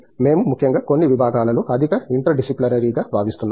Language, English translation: Telugu, We feel especially, in certain areas which are highly interdisciplinary